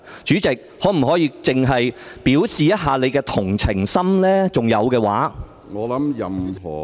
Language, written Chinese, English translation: Cantonese, 主席，你可否表現一下同情心，假如你還有同情心的話？, President would you show some sympathy if you still have a tinge of sympathy?